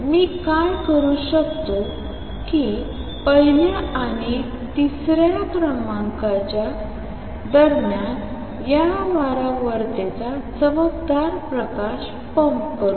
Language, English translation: Marathi, What I can do is pump shine light of this frequency between the first and the third level